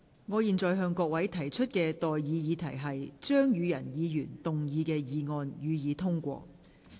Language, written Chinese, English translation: Cantonese, 我現在向各位提出的待議議題是：張宇人議員動議的議案，予以通過。, I now propose the question to you and that is That the motion moved by Mr Tommy CHEUNG be passed